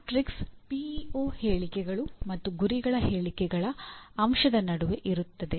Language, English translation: Kannada, The matrix is between PEO statements and the elements of mission statements